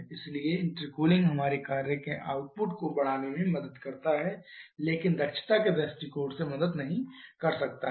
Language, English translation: Hindi, So, it intercooling helps us in increasing the work output but may not help from efficiency point of view